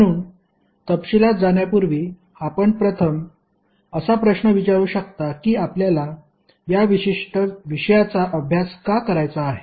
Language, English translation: Marathi, So before going into the detail first question you may be asking that why you want to study this particular subject